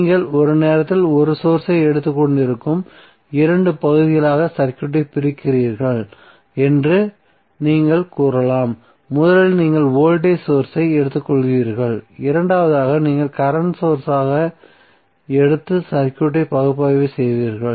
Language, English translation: Tamil, So you can say that you are dividing the circuit in 2 parts you are taking 1 source at a time so first you will take voltage source and second you will take as current source and analyze the circuit